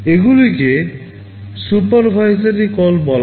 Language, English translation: Bengali, These are called supervisory calls